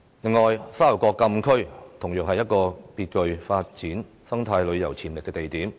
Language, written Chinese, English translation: Cantonese, 此外，沙頭角禁區同樣是極具發展生態旅遊潛力的地點。, Moreover the Sha Tau Kok Frontier Closed Area is similarly a location with great potential for the development of eco - tourism